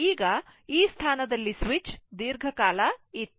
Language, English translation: Kannada, Now at switch in this position was for long time right